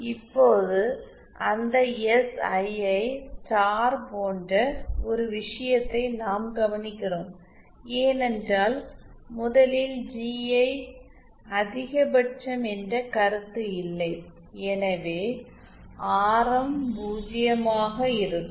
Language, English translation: Tamil, Now we note one thing like in that SII star, since there is see first of all there is no concept of GI max okay so there will not be a point for which the radius is 0 that will not happen